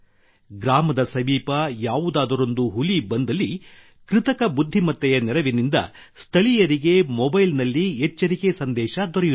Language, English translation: Kannada, Whenever a tiger comes near a village; with the help of AI, local people get an alert on their mobile